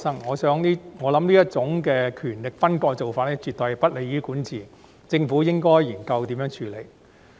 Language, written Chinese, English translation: Cantonese, 我想這種權力分割的做法絕對不利於管治，政府應研究如何處理。, In my view such segregation of power is absolutely not conducive to governance and the Government should explore ways to deal with it